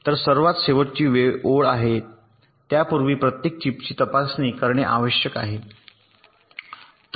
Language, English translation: Marathi, so the bottom line is we need to test each and every chip before they can be shipped